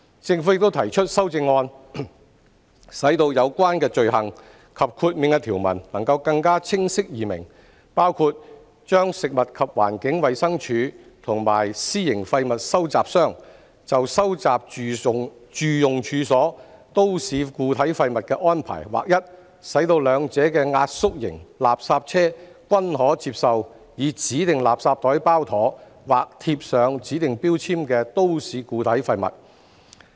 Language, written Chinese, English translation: Cantonese, 政府亦提出修正案，使有關罪行及豁免的條文更清晰易明，包括把食物環境衞生署和私營廢物收集商就收集住用處所都市固體廢物的安排劃一，使兩者的壓縮型垃圾車均可接收以指定垃圾袋包妥或貼上指定標籤的都市固體廢物。, The Government has also proposed amendments to enhance the clarity and comprehensibility of the offence and exemption provisions including standardizing the arrangements for the collection of MSW from domestic premises by the Food and Environmental Hygiene Department or private waste collectors such that both may use refuse collection vehicles with compactors to collect MSW that is either wrapped in designated garbage bags or affixed with designated labels